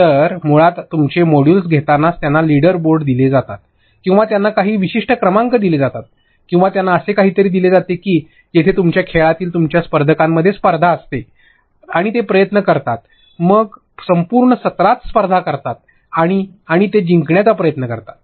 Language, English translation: Marathi, So, basically throughout taking your modules, they are given leader boards or they are given certain ranks or they are given something where in a gamified you have a competition between your learners, and so that they try and compete the entire session, they try and win it